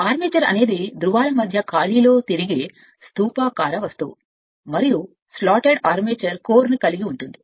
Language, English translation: Telugu, The armature is a cylindrical body rotating in the space between the poles and comprising a slotted armature core